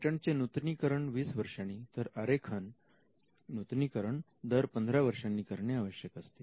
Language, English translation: Marathi, Patent patents are kept for 20 years designs for 15 years trademarks have to be kept renewed at regular intervals